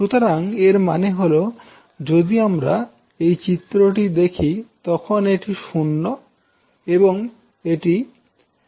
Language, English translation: Bengali, So that means if you see the figure this is 0 and this is again 0